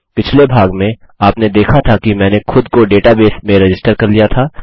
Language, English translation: Hindi, In the last part, you saw that I registered myself in this database